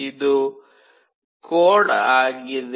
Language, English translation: Kannada, This is the code